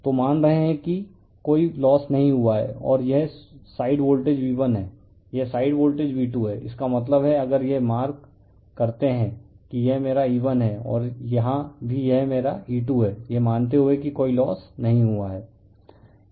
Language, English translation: Hindi, So, we are assuming there is no loss right so, and this side is voltage V1 this side is voltage V2; that means, this is if it is marked that this is my E1 and here also it is my E2 we are assuming there is no loss